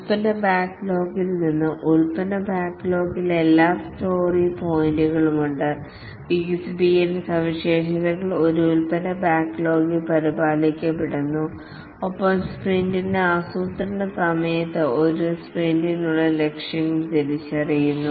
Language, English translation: Malayalam, From the product backlog, the product backlog has all the story points or the features to be developed are maintained in a product backlog and during sprint planning the objectives for a sprint is identified